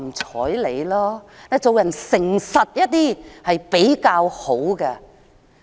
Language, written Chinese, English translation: Cantonese, 做人誠實一些比較好。, It is better to be honest with people